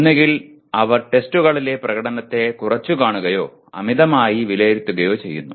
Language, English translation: Malayalam, Either they underestimate or overestimate their performance in tests